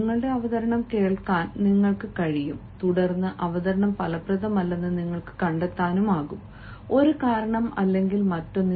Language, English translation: Malayalam, you can listen to your presentation and then you can find that the presentation was not effective because of one reason or the other